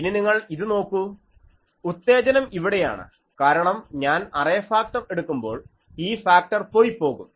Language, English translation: Malayalam, Now this you see the excitations here because when I will take the array factor this factor will go